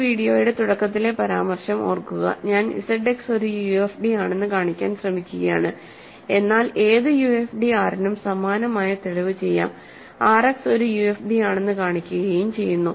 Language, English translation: Malayalam, And remember the remark at the beginning of this video, I am trying to show that Z X is a p UFD, but the same proof carriers over for any UFD R and shows that R X is a UFD